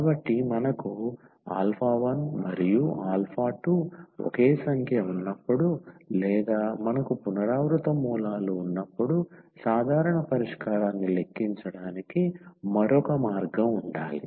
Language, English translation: Telugu, So, there should be another way to compute the general solution when we have alpha 1 and alpha 2 the same number or we have the repeated roots